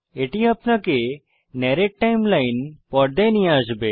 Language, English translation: Bengali, This will take you to the Narrate Timeline screen